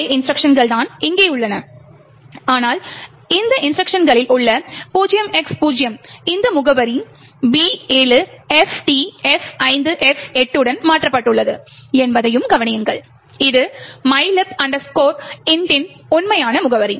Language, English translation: Tamil, The same instructions are present over here but also notice that the 0X0 which is present in this instruction is replaced with this address B7FTF5F8, which is the actual address for mylib int